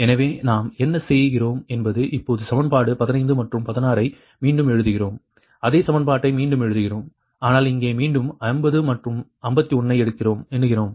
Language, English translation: Tamil, what we are doing is now that rewriting equation fifteen and sixteen, same equation we are rewriting, but numbering again fifty and fifty one here, right